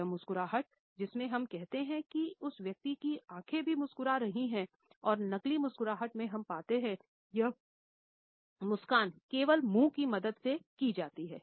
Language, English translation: Hindi, This is the smile in which we say that the person’s eyes were also smiling and in fake smiles we find that this smile is given only with the help of the mouth